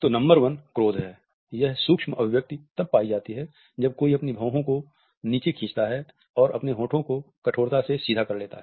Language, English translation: Hindi, So, number 1 is anger; the anger micro expression is found when someone pulls their eyebrows down and also purses their lip into a hard line